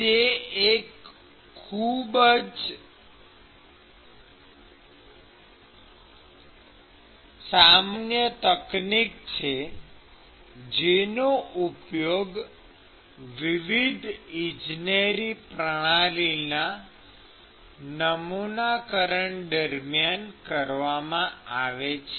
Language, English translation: Gujarati, So, it is a very, very common technique used when you model different engineering systems